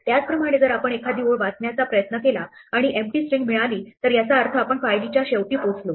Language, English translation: Marathi, Similarly, if we try to read a line and we get empty string it means we reached the end of file